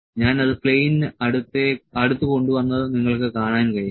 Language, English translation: Malayalam, So, you can see I have just brought it close to the plane